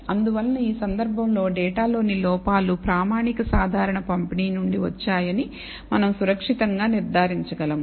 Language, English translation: Telugu, And therefore, in this case we can safely conclude that the errors in the data come from a standard normal distribution